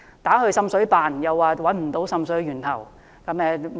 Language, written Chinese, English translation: Cantonese, 為何找不到滲水源頭？, Why have they failed to do so?